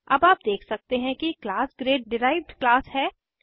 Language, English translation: Hindi, Now you can see that class grade is the derived class